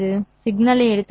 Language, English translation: Tamil, This is for the signal